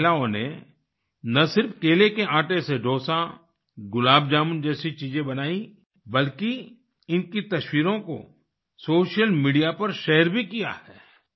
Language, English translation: Hindi, These women not only prepared things like dosa, gulabjamun from banana flour; they also shared their pictures on social media